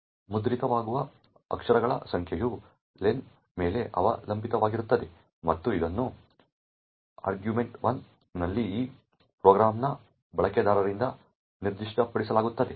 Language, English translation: Kannada, The number of characters that get printed depends on len and which in turn is specified by the user of this program in argv1